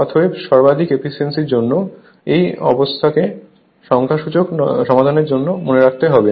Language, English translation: Bengali, Therefore, for a maximum efficiency that this condition you have to keep it in your mind for solving numerical